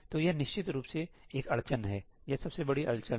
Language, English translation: Hindi, So, this is definitely a bottleneck; this is the biggest bottleneck